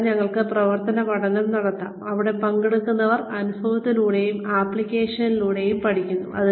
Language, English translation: Malayalam, And, we can have action learning, where participants learn through, experience and applications